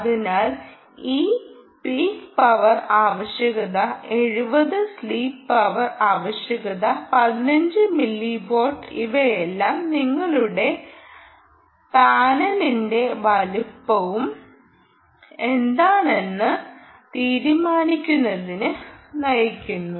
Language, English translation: Malayalam, so this power requirement of ah peak power requirement of a seventy ah sleep power requirement of fifteen milli watt, all of this leads to deciding what should be the size of your panel, right